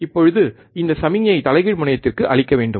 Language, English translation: Tamil, Now this signal we have to apply to the inverting terminal